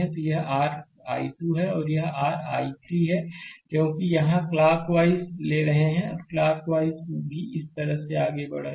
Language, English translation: Hindi, So, this is your i 2 and this is your i 3 because you are taking clock wise here also clock wise moving this way